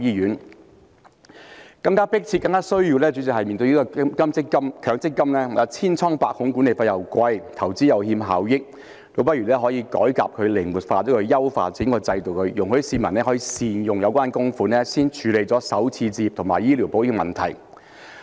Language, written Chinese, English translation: Cantonese, 主席，更加迫切和更加需要的是，面對強制性公積金制度千瘡百孔，計劃管理費昂貴，投資又欠效益，倒不如進行改革，將它靈活化，優化整個制度，容許市民可以善用有關供款，先處理首次置業和醫療保險的問題。, President what is more urgent and important is that faced with our Mandatory Provident Fund MPF System one that is afflicted with all ills with costly management fees and poor returns on investments we had better carry out reform revitalize it improve the whole system and let the people make good use of their contributions to handle the issues of buying a starter home and purchasing medical insurance